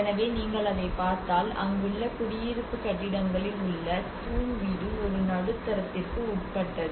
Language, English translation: Tamil, So if you look at it the pillared house in the residential buildings there a subjected the medium